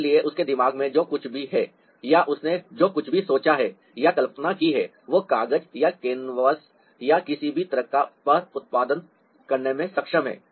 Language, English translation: Hindi, so whatever he has in his mind or whatever he has ah thought or conceived, he is able to produce that on paper or on canvasses or any given surface